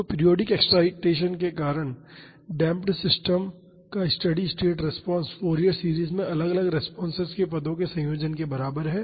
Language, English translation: Hindi, So, the steady state response of the damped system due to a periodic excitation is equal to the combination of responses to the individual terms in the Fourier series